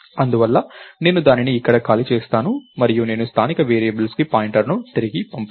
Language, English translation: Telugu, Therefore, I will free it up here and I will not pass pointers back to local variables